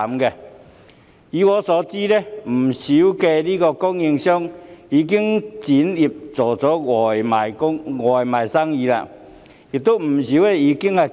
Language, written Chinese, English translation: Cantonese, 據我了解，許多學校飯盒供應商已轉型，改為經營外賣生意，另有不少已結業。, As far as I know many school lunch suppliers have already switched to provide takeaway services and many others have already closed down